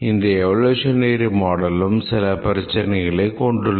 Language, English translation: Tamil, But then the evolutionary model has its problem